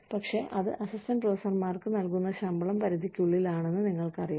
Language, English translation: Malayalam, But, you know, within the range of pay, that is given to assistant professors